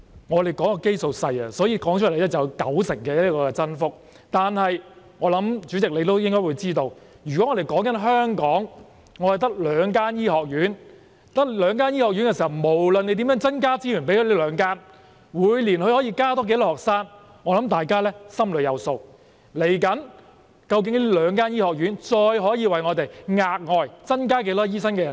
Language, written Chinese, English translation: Cantonese, 因為基數細小，所以可以說成有九成增幅，但我相信代理主席也知道，香港只有兩間醫學院，不論我們如何向它們增撥資源，它們每年可以增加多少名學生，相信大家也心中有數，而接下來，這兩間醫學院究竟可以再為我們額外增加多少名醫生人手？, But as you know Deputy President there are only two medical schools in Hong Kong and no matter how we will increase the provision of resources for them how many more students can they admit each year? . I think Members know it only too well . The question that follows is how many additional doctors these two medical schools can provide for us